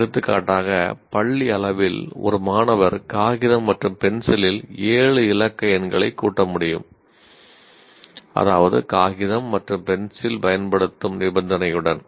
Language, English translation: Tamil, For example, at school level a student should be able to, let's say add the seven digit numbers on paper and pencil, which means the condition is paper and pencil